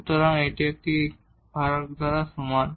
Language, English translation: Bengali, So, that is equal to this divided by this one